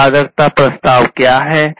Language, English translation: Hindi, What is the value proposition